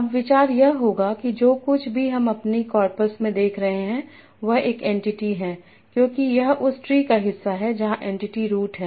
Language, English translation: Hindi, Now idea would be whatever I am seeing in my corpus is an entity because it's part of that tree, so where entity is the root